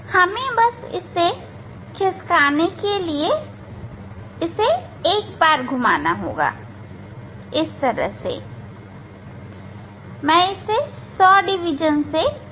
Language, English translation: Hindi, if I rotate once then we have to shift, let me rotate by 100 division ok